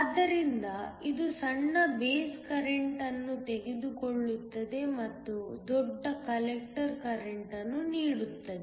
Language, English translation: Kannada, So, It takes the small base current and gives out a larger collector current